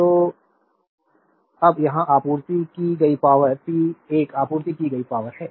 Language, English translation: Hindi, So, power supplied now here so, p 1 is the power supplied